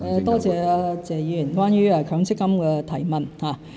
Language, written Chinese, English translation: Cantonese, 多謝謝議員關於強積金的提問。, I thank Mr TSE for raising a question about MPF